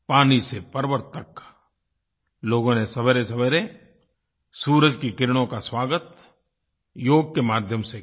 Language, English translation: Hindi, From the seashores to the mountains, people welcomed the first rays of the sun, with Yoga